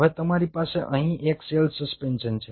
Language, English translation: Gujarati, it made a single cell suspension